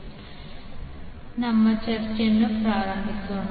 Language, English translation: Kannada, So let us start our discussion about the topic